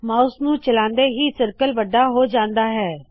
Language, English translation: Punjabi, As I move the mouse, the circle becomes bigger